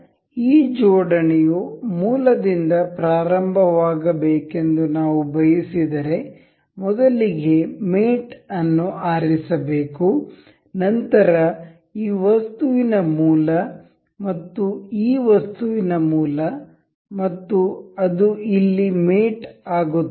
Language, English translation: Kannada, So, if we want this assembly to start with origin, we can select mate, the origin of this item and the origin of this item and this mates here, and click ok